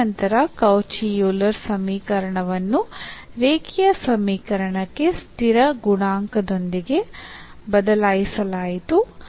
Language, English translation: Kannada, So, here the Cauchy Euler equations are the equations with an on a constant coefficient